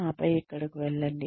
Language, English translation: Telugu, And then, go here